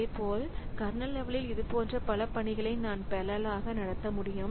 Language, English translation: Tamil, Similarly, at kernel level also I can have multiple such tasks going on parallelly